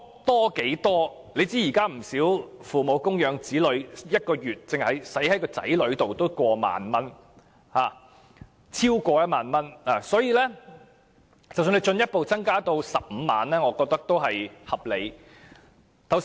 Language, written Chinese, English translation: Cantonese, 大家也知道，現時父母花在子女身上的開支，每月動輒超過1萬元，所以將子女免稅額進一步增加至15萬元也是合理的。, As we all know nowadays parents spent at least 10,000 per month on their children so it is reasonable to further increase the child allowance to 150,000